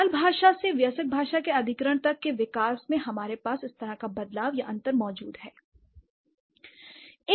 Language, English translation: Hindi, So, the development from the child language to the adult language acquisition, we have such kind of a change or a difference